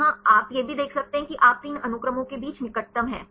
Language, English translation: Hindi, Here also you can find distance you can see this is the closest among these three sequences